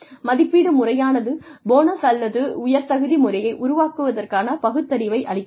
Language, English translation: Tamil, The appraisal system provides, a rational basis for constructing, a bonus or merit system